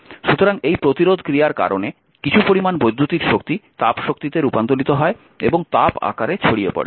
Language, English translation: Bengali, So, because of the your course of these interaction some amount of electric energy is converted to thermal energy and dissipated in the form of heat